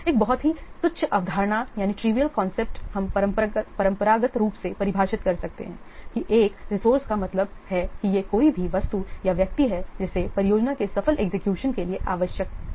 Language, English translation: Hindi, Very trivial what the concept we can define conventionally that resource means it is any item or a person which is required for successful execution of the project